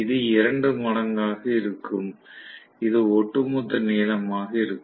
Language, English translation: Tamil, So, this is going to be 2 times, this will be the overall length of